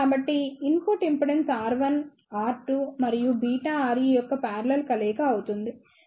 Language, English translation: Telugu, So, the input impedance will be the parallel combination of R 1 R 2 and beta R E